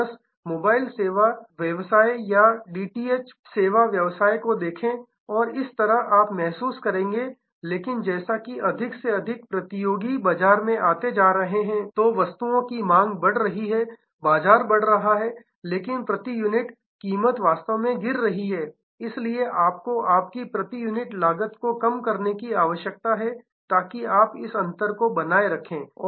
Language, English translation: Hindi, So, just look at the mobile service business or DTH televisions service business and so on, you will realize, but as more and more competitors coming the demand is growing market is growing, but price per unit actually keeps falling, so you need to therefore, your cost per unit also must fall, so that you maintain this difference